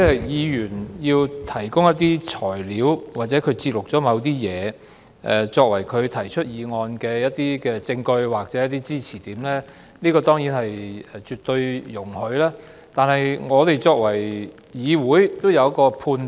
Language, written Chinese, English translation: Cantonese, 議員要提供一些材料或節錄某些東西，作為他提出議案的證據或支持點，這當然是絕對容許的，但議會也要有所判斷。, Admittedly it is absolutely permissible for a Member to provide some materials or excerpts of certain things as evidence or arguments for his motion but the Council has to make a judgment as well